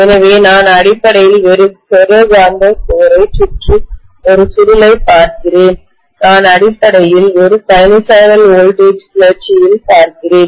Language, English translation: Tamil, So I am looking at basically a ferromagnetic core around which I have wound a coil and I am essentially looking at exciting that with a sinusoidal voltage